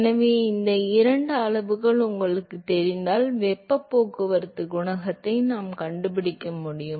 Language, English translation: Tamil, So, if you know these two quantities then we should able to find the heat transport coefficient